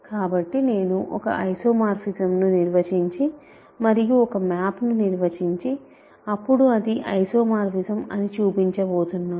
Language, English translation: Telugu, So, I am going to simply define an isomorphism and define a map and show that it is isomorphism